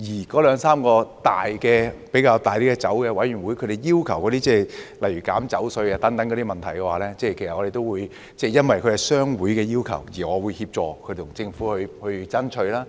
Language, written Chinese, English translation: Cantonese, 該兩三個較大型酒商提出要求削減酒稅等問題，其實我也會因應商會的要求而協助他們向政府爭取。, I told them A couple of large wine traders made such requests as reduction of duty on liquor . In fact I would assist them in lobbying the Government upon the request of the trade associations